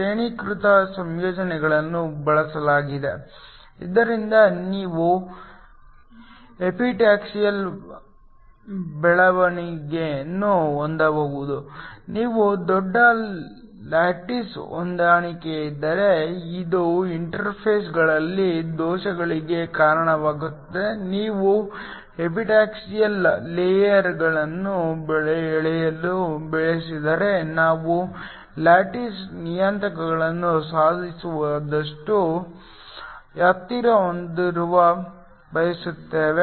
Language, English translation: Kannada, Graded compositions are used so that you can have an epitaxial growth, if you have a huge lattice mismatch that leads to defects at the interfaces if you want to grow epitaxial layers we want to have lattice parameters as close as possible